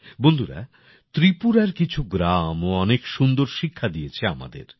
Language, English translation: Bengali, Friends, some villages of Tripura have also set very good examples